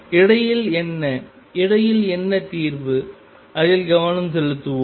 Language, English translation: Tamil, What about in between, what is the solution in between; let us focus on that